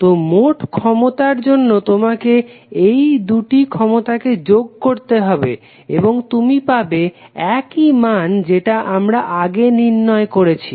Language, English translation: Bengali, So, therefore the total power you have to just add both of them and you will get the same value as we calculated previously